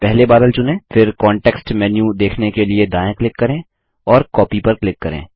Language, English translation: Hindi, First select the cloud, then right click to view the context menu and click Copy